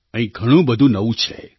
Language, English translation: Gujarati, A lot about it was new